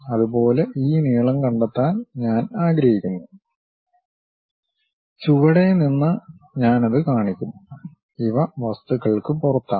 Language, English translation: Malayalam, Similarly I want to really locate this length; all the way from bottom I will show that and these are outside of the things